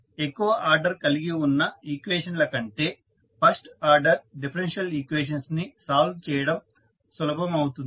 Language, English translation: Telugu, So, the first order differential equations are simpler to solve than the higher order ones